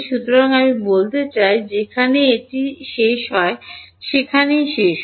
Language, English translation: Bengali, So, I mean it ends where it ends where